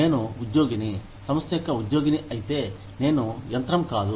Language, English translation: Telugu, If I am an employee, of an organization, I am not just a machine